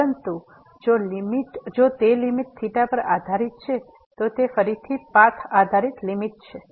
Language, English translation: Gujarati, But if that limit is depending on theta, then again it is a path dependent limit